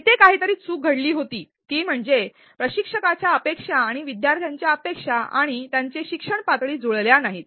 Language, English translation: Marathi, Something that went wrong here was a mismatch between instructor's expectations and students expectations and their level of learning